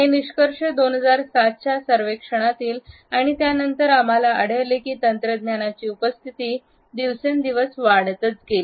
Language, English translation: Marathi, These findings are from a 2007 survey and since that we find that the presence of technology has only been enhanced